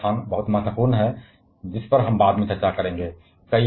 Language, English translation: Hindi, This empty space is very, very important which we shall be discussing later on